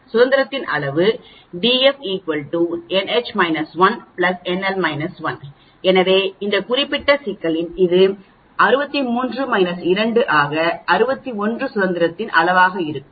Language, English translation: Tamil, The degrees of freedom is equal to n H minus 1 plus n L minus 2, so this in this particular problem it will be 63 minus 2, 61 will be the degrees of freedom